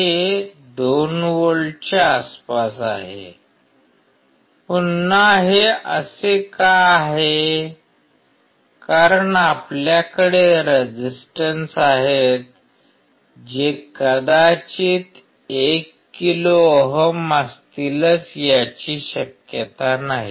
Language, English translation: Marathi, It is close to 2 volts; again why this is the case, because we have resistors which may not be exactly 1 kilo ohm